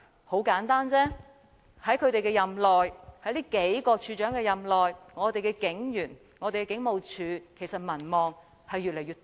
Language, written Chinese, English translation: Cantonese, 很簡單，在這數位處長任內，警員和警務處的民望其實越來越低。, It is very simple the public support of the police officers and the Hong Kong Police Force has become increasingly low during the tenure of these few Commissioners